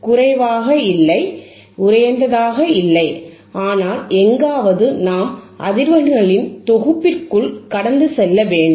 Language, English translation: Tamil, Not a low, not high, but within somewhere within a set of frequencies that only we need to pass